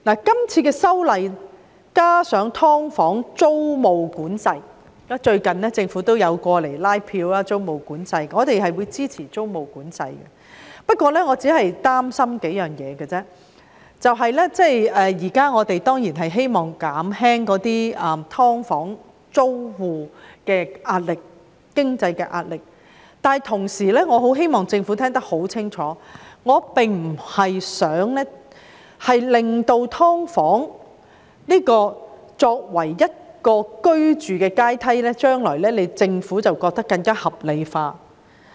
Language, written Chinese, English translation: Cantonese, 最近政府也有就租務管制一事前來拉票，我們會支持租務管制，但我擔心數件事，就是我們當然希望減輕"劏房"租戶的經濟壓力，但同時我希望政府聽清楚，我不希望"劏房"成為居住階梯，讓政府將來更加合理化"劏房"。, However I am concerned about several matters . First of all we do hope to alleviate the financial pressure on tenants of subdivided units but I wish to make it clear to the Government that I do not want to see subdivided units become part of the housing ladder . Otherwise it will give the Government a better excuse to legitimize the existence of subdivided units in the future